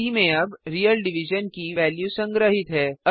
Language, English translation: Hindi, c now holds the value of real division